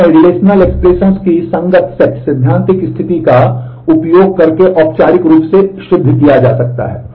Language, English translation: Hindi, They can be formally proved using the corresponding set theoretic condition of the relational expressions